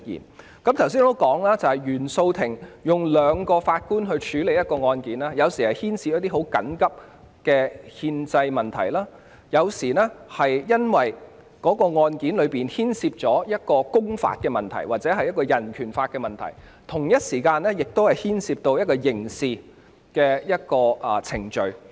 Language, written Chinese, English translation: Cantonese, 我剛才指出，原訟法庭由2名法官處理的案件，有時候是牽涉緊急的憲政問題，有時候是由於案件牽涉公法或人權法的問題，而在同一時間亦牽涉刑事程序。, As I have pointed out just now cases handled by two CFI judges may sometimes involve urgent constitutional issues public law or human rights law and even criminal proceedings may also be involved at the same time